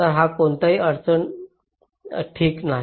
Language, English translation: Marathi, so there is no problem